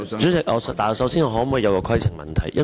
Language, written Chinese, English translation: Cantonese, 主席，我想先提出規程問題。, Chairman I would like to raise a point of order